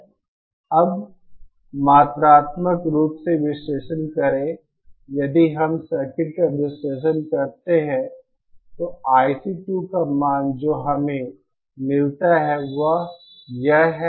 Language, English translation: Hindi, Now the collect now quantitatively if we analyse the circuit then the value of I C 2 that we get is this